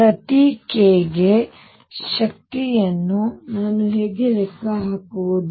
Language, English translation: Kannada, How do I calculate the energy for each k